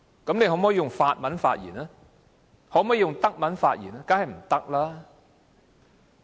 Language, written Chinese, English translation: Cantonese, "議員可否用法文或德文發言？, Can a Member address the Council in French or German?